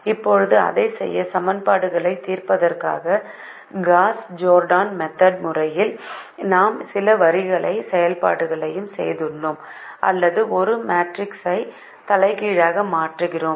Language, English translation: Tamil, now, to do that, we do some rho operations, as we do in the gauss jordan method of solving equations, or inverting a matrix